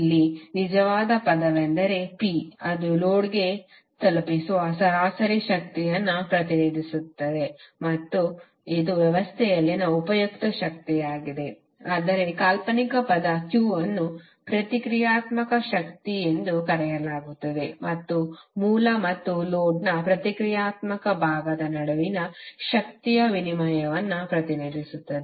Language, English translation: Kannada, So here the real term is P which represents the average power delivered to the load and is only the useful power in the system while the imaginary term Q is known as reactive power and represents the energy exchange between source and the reactive part of the load